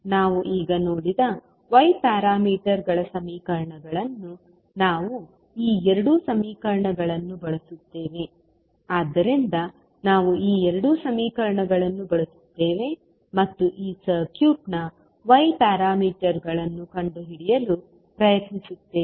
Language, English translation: Kannada, We will use the equations that is y parameters what we just saw means these two these two equations, so we will use these two equations and try to find out the y parameters of this circuit